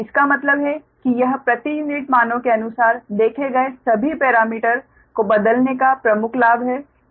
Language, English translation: Hindi, that means this is the major advantage of transforming all the parameter seen per unit values, right